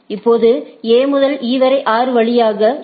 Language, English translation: Tamil, Now, A to E is 6 via C